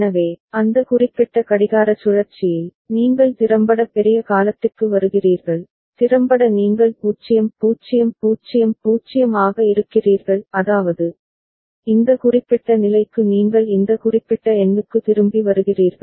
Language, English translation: Tamil, So, in that particular clock cycle, you are effectively having for larger duration, effectively you are having 0 0 0 0 so; that means, you are back to this particular number this particular state